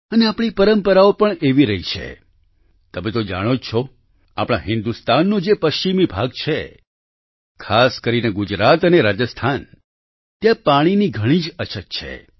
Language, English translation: Gujarati, You know, of course, that the western region of our India, especially Gujarat and Rajasthan, suffer from scarcity of water